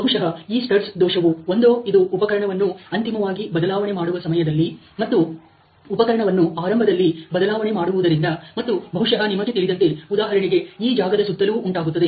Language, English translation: Kannada, So, probably this stud defect is because either it is towards the end of the tool change, and beginning of the tool change, it is causing this and probably you know around this region let say